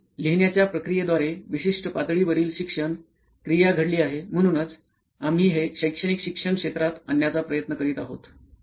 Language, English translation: Marathi, So certain level of learning activity has already happened by the process of writing it down, which is why we are trying to bring this into the educational learning sector